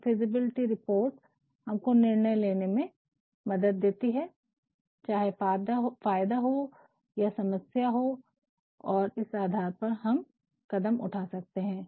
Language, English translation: Hindi, So, feasibility reports help us decide, whether there are benefits and problems and based on that we can take some action